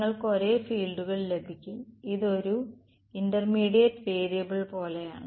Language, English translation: Malayalam, You get the same fields, its like a intermediate variable